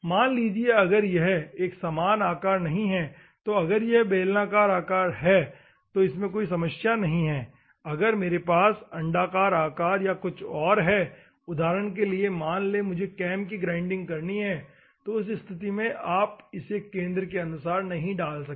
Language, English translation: Hindi, Assume that if it is not a uniform shape, here it is a cylindrical shape that is no problem in, it if at all I have an elliptical shape or something assume that I want to do the cam in that circumstances you cannot put under the centre